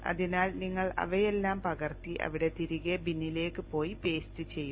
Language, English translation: Malayalam, So you just copy all of them and go back there into the bin and paste